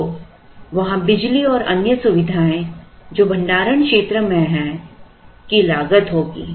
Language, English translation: Hindi, So, there will be cost of power that is there in the storage area and other accessories